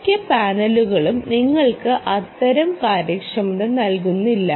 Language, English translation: Malayalam, most panels dont give you that kind of efficiencies